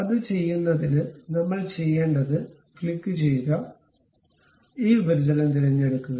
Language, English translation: Malayalam, To do that what we have to do click mate, pick this surface